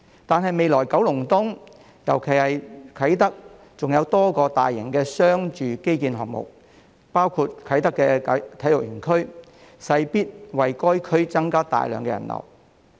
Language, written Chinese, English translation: Cantonese, 然而，未來九龍東——尤其是啟德——還有多個大型商住基建項目，包括啟德體育園區，勢必為該區增加大量人流。, Nevertheless there are many large - scale commercial and residential infrastructure projects in Kowloon East―particularly in Kai Tak―including the Kai Tak Multi - purpose Sports Complex and they are bound to bring a huge flow of people to the district